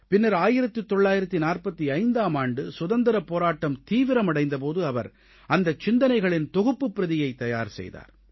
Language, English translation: Tamil, Later, in 1945, when the Freedom Struggle gained momentum, he prepared an amended copy of those ideas